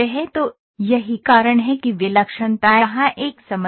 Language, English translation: Hindi, So, this is why singularity is a problem here